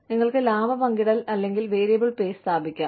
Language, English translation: Malayalam, You could institute, profit sharing or variable pay